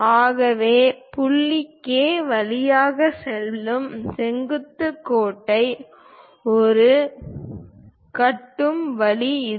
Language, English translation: Tamil, So, this is the way we construct a perpendicular line passing through point K